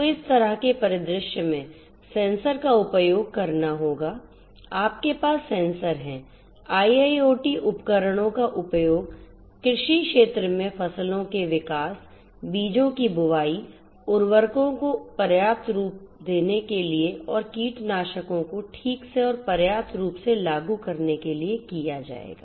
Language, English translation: Hindi, So, in this kind of scenario sensors will have to be used you have sensors IIoT devices will have to be used in the agricultural field for monitoring the growth of the crops, for monitoring the sowing of the seeds, for applying fertilizers you know precisely adequately and so on and also to precisely and adequately apply the pesticides